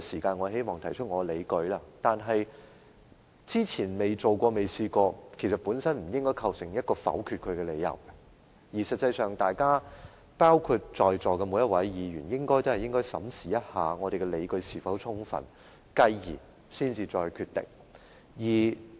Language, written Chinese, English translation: Cantonese, 過去未曾提出類似議案，不應構成否決這項議案的理由，在席的每位議員也應該審視我們的理據是否充分，繼而再作決定。, The fact that no similar motions have been put forward before should not constitute the reason to vote against this motion . Each Member present here should consider whether we have sound justifications and makes his subsequent decision